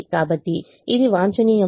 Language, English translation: Telugu, therefore it is optimum